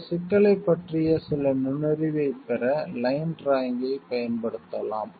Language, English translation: Tamil, We can use line drawing to get some insight into this problem